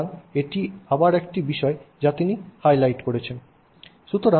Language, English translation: Bengali, So, this is again another thing that he highlights